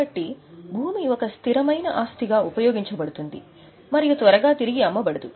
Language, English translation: Telugu, So land becomes a fixed asset to be used and not to be resold